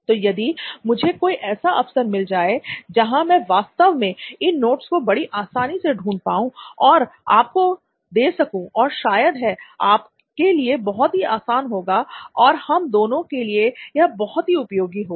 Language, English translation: Hindi, So if I am given an opportunity where I can actually find these notes very easily and I can give it to you perhaps this will be a very easy thing for you and mutually it will be very useful for everyone, right